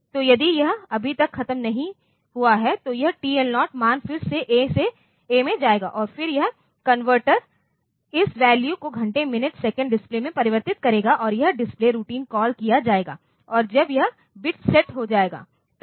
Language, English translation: Hindi, So, if it is not yet over then this TL0 value again be go to going to A and then this converter will convert the value into this hour, minute, second display and this display routine will be called and when this bit is set then